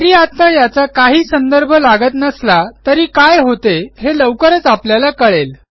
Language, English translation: Marathi, While this may not make absolute sense right now, we will soon understand whats happening